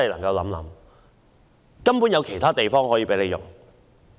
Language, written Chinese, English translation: Cantonese, 是否沒有其他空置校舍可以使用？, Are there no other vacant school premises available?